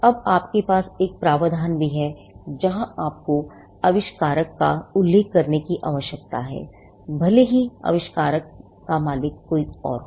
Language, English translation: Hindi, Now, you also have a provision, where you need to mention the inventor, regardless of who owns the invention